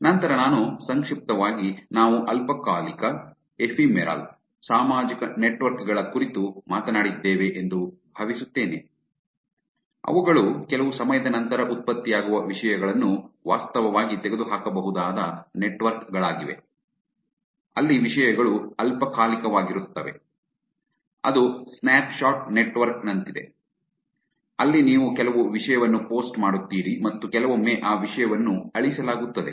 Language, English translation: Kannada, Then I think briefly we have also talked about ephemeral social networks, which are networks where the contents that is getting generated can be actually removed after some period of time, where the contents are ephemeral, which it is like a snapshot network; where you post some content and after sometimes that content get's deleted right